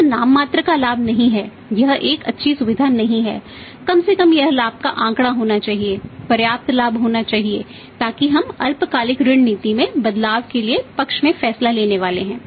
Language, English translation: Hindi, Is not a nominal profit when is not in a good qualities minimum profit this should be profit figure should be the profit and there should be the substantial profit then only we are going to take the decision in favour of the in favour of the short term credit policy changes